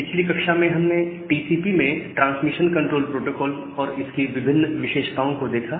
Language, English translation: Hindi, So, in the last class, we have discussed about the transmission control protocol at a TCP and the several features which are there in TCP